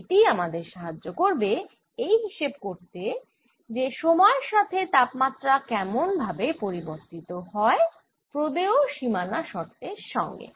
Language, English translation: Bengali, this is what will determine how temperature changes with time, given some boundary conditions, right